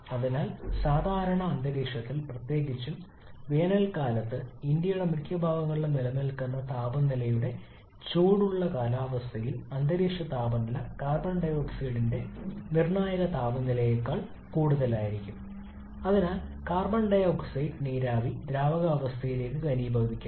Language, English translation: Malayalam, And therefore under normal atmospheric condition it particularly in a hot climates of most of our prevailing in most part of India during summer the atmospheric temperature maybe above the critical temperature of carbon dioxide and therefore carbon dioxide vapour can be condensed to the liquid state